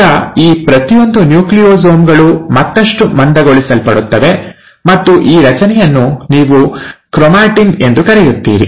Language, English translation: Kannada, Now each of these Nucleosomes get further condensed, and that structure is what you call as the ‘chromatin’